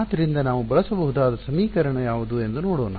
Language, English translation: Kannada, So, what is the let us see what is the equation that we can use